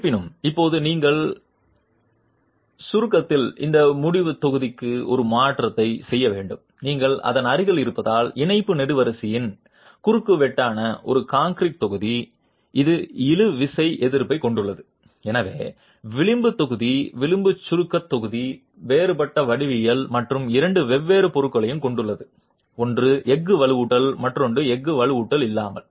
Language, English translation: Tamil, However, now you need to make a modification to this end block in compression because you have right beside it a concrete block which is the cross section of the Thai column which has tensile resistance and therefore the edge block, the edge compression block is a different geometry geometry and also has two different materials with one with steel reinforcement and one without steel reinforcement